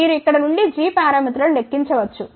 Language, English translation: Telugu, Then, we looked at the g parameters